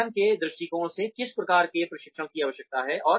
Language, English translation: Hindi, From the organization's point of view, what kind of training is required